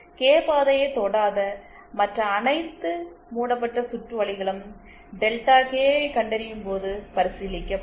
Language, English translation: Tamil, All other loops which do not touch the Kth path will be considered while finding out Delta K